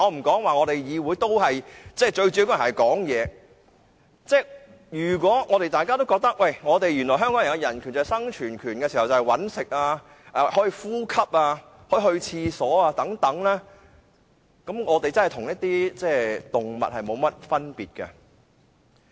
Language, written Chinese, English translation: Cantonese, 我們在議會最主要的職能是發言，如果大家都覺得香港的人權指的是生存權，包括"搵食"、呼吸、如廁等，我們便真的與動物沒有分別。, Our most important function in the Council is to make speeches . If you think that human rights in Hong Kong refer to the right to survival including food hunting breathing and toileting then there will really be no difference between us and animals